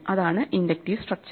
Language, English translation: Malayalam, What is the inductive structure